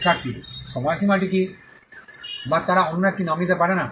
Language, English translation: Bengali, Student: what is the durations, or they cannot take another down that same name